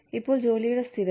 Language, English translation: Malayalam, Now, stability of jobs